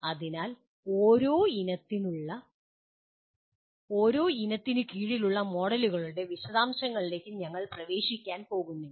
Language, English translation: Malayalam, So we are not going to get into the details of the models under each family